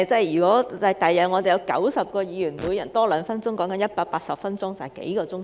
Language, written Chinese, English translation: Cantonese, 如果將來有90位議員，每人多說兩分鐘，便會增加180分鐘，即是數個小時。, If there are 90 Members in the future and each of them speaks two more minutes the meeting will be 180 minutes or several hours longer